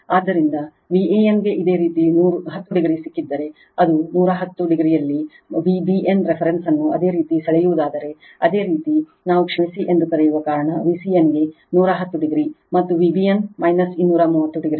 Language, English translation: Kannada, So, V a n if you got 10 degree, and with respect to that if you draw the reference V b n in 110 degree, because it is your what we call sorry V c n is given 110 degree, and V b n is minus 230 degree